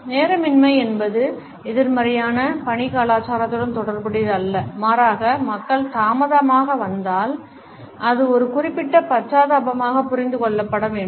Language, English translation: Tamil, Non punctuality is not necessarily related with a negative work culture rather it has to be understood as a certain empathy if people tend to get late